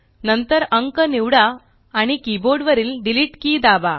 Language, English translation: Marathi, Then select the number and press the Delete key on the keyboard